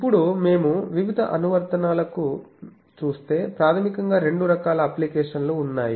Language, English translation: Telugu, Now, so if we see various applications, there are basically two types of application